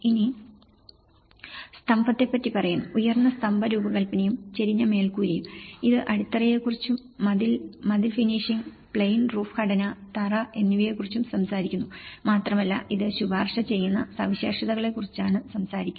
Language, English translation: Malayalam, Now, it says about the plinth; the high plinth design and a sloped roof, it also talks about the foundations and the wall, wall finish, plain roof structure and the floor and it’s all talking about the recommended specifications of it